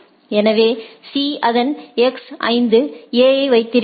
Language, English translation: Tamil, So, C its still keep that X 5 A right